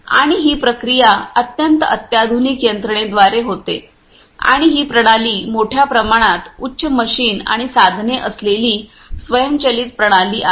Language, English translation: Marathi, And this processing happens through a very sophisticated system and this system is to a large extent an automated system with high end machinery and instruments ah